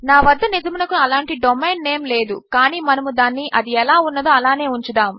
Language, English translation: Telugu, I dont actually have that domain name but well just keep it as that